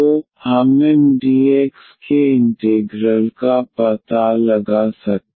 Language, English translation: Hindi, So, we can find out the integral of Mdx